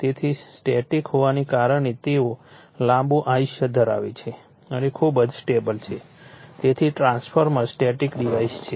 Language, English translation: Gujarati, So, being static they have a long life and are very stable so, the transformer get static device